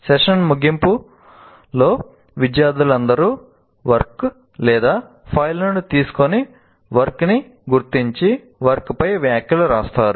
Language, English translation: Telugu, And then at the end of the session, he collects the work, takes the work of all the students home, marks the work and writes comments on the work